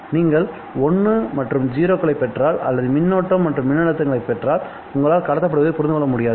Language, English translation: Tamil, If you receive once and zeros or if you receive currents and voltages you won't be able to understand what is being transmitted